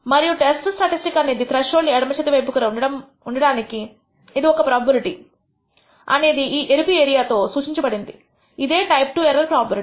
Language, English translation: Telugu, And the probability that the statistic will be left of the threshold is given by the red area and that is going to be of type II error prob ability